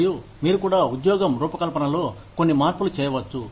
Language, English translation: Telugu, And, you could also make, some changes to the job design